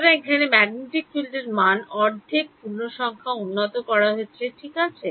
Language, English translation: Bengali, So, then the magnetic field is updated at half integer right